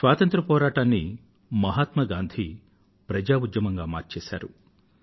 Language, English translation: Telugu, Mahatma Gandhi had transformed the freedom movement into a mass movement